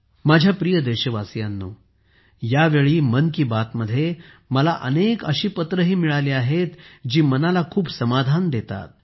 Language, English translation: Marathi, My dear countrymen, I have also received a large number of such letters this time in 'Man Ki Baat' that give a lot of satisfaction to the mind